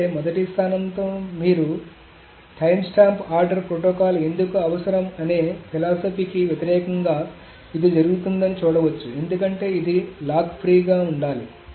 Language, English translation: Telugu, But then that is you see that is going against the philosophy of why timestamp ordering protocol is needed in the first place because it is supposed to be lock free